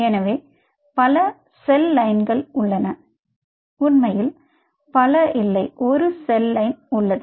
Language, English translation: Tamil, there are actually not several, there are, there is one cell line